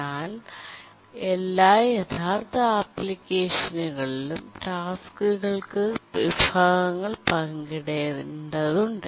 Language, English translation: Malayalam, But then in almost every real application the tasks need to share resources